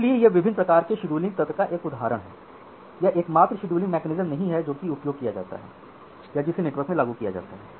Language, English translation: Hindi, So, this is just an example of different kind of scheduling mechanism this is not the only scheduling mechanism which is a used or which is implemented in the network